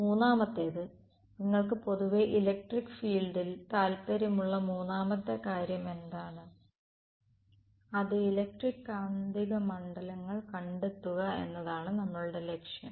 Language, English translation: Malayalam, Third is what is the other third thing that you are interested in electric field in general that is our objective find the electric and magnetic fields